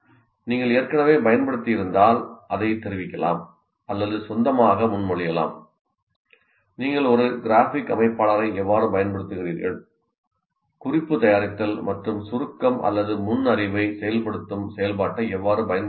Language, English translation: Tamil, If you have already used, one can report that, or let's say we are requesting you to kind of propose on your own if you have not used, how do you use a graphic organizer or how do you use the activity of note making and summarizing or activation of prior knowledge